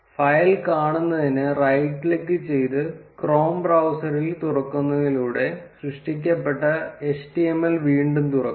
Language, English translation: Malayalam, To view the file, again let us open the html that is created by right clicking and opening it in the chrome browser